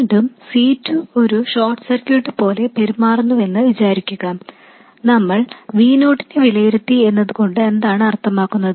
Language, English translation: Malayalam, Again, now assuming that C2 must behave like a short, meaning what do we mean by that we have evaluated V0